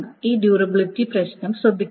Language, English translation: Malayalam, So these must take care of the durability issues